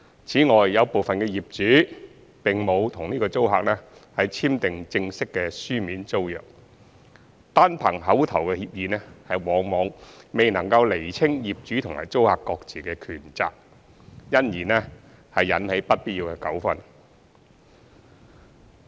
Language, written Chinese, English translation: Cantonese, 此外，有部分業主並沒有與租客簽定正式的書面租約，單憑口頭協議往往未能釐清業主和租客各自的權責，因而引起不必要的糾紛。, In addition some landlords have not signed a formal written tenancy agreement with their tenants . Oral tenancies alone often fail to set out the respective rights and obligations of landlords and tenants thus causing unnecessary disputes